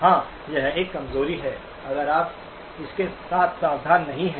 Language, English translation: Hindi, Yes, it is an impairment if you are not careful with it